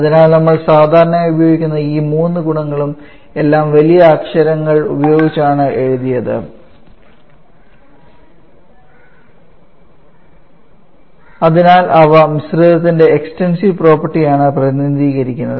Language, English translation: Malayalam, So these three properties that we most commonly used all of them are written in using capital letters and therefore they represent the extensive property of the mixture